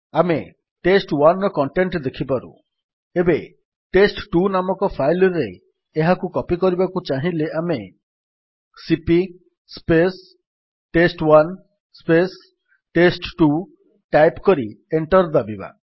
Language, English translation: Odia, Now if we want to copy it into another file called test2 we would write: $ cp test1 test2 and press Enter